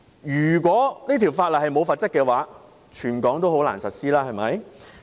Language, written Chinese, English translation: Cantonese, 如果法例沒有了罰則，便難以在全港實施。, If the law is stripped of its penalties it can hardly be implemented in Hong Kong